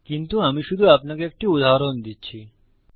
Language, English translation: Bengali, But I was just giving you an example